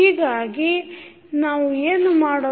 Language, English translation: Kannada, So, what we are doing